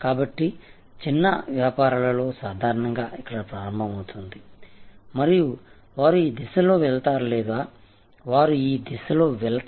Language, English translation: Telugu, So, in short businesses start usually here and they go in this direction or they go in this direction